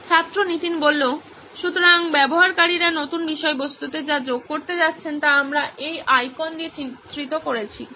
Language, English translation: Bengali, Students Nithin: So in the new content that users are going to add, that we have depicted with this icon